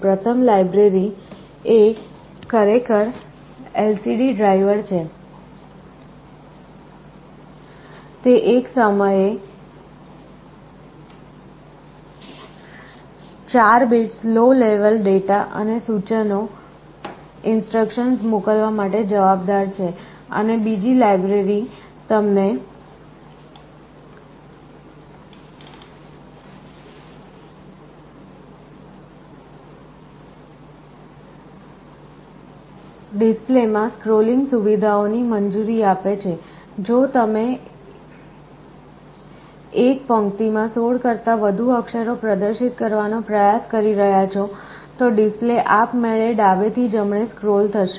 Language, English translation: Gujarati, The first library is actually the LCD driver, it is responsible for sending the low level data and the instructions 4 bits at a time, and the second one allows you with scrolling features in the display, if you are trying to display more than 16 characters in a row, the display will automatically scroll from left to right